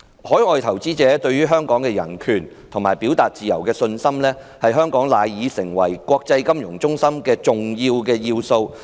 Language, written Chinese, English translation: Cantonese, 海外投資者對香港的人權和表達自由的信心，是香港賴以成為國際金融中心的重要元素。, Overseas investors confidence in Hong Kongs human rights and freedom of speech is an important factor conducive to Hong Kong being an international financial centre